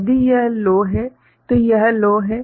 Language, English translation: Hindi, If this is low, it is low